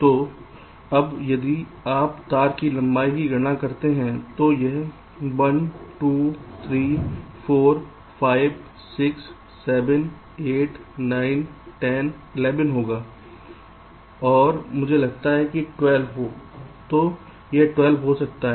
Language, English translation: Hindi, so now, if you calculate the wire length, it will be one, two, three, four, five, six, seven, eight, nine, ten, eleven and i think twelve, so it becomes twelve